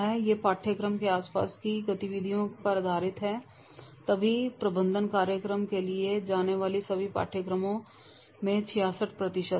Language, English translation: Hindi, These courses focus on internal activities and therefore 66% of all courses and they go for the management courses